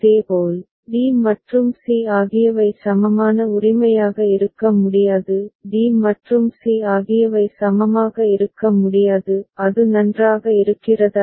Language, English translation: Tamil, Similarly, d and c cannot be equivalent right; d and c cannot be equivalent; is it fine